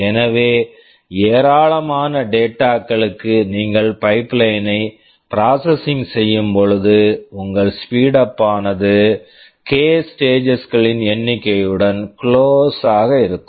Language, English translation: Tamil, So, for a large number of data that you are processing the pipeline, your speedup will be close to number of stages k